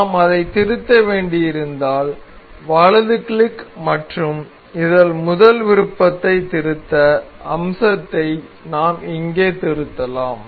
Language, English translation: Tamil, So, in case we need to edit it we can select right click and this first option edit feature we can edit here